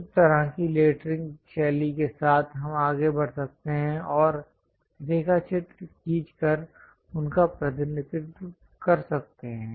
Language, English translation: Hindi, So, with that kind of lettering style, we can go ahead and draw sketches and represent them